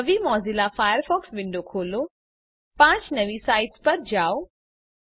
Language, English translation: Gujarati, * Open a new Mozilla Firefox window, * Go to five new sites